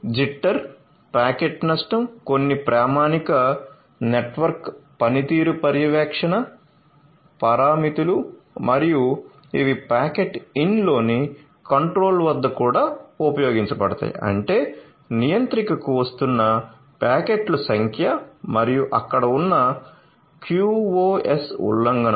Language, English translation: Telugu, So, jitter, packet loss is a some of the standard network performance monitoring parameters and these will be used plus for at the controller in the packet in; that means, the number of packets that are coming to the controller and the QoS violations that are there so, all of these will be measured and will be shown